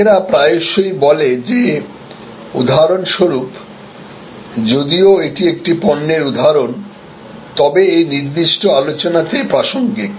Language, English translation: Bengali, People often say that for example, it is a product example, but relevant in this particular context